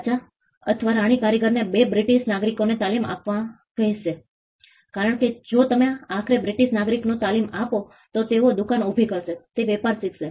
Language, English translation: Gujarati, The king or the queen would ask the craftsman to train 2 British nationals, because if you train to British nationals eventually, they will learn the trade they will set up shop